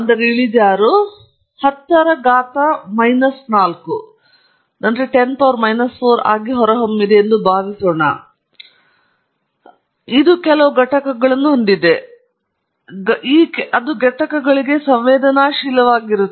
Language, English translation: Kannada, Suppose slope turned out to be 10 power minus 4; it has certain units; so, it is going to be sensitive to the units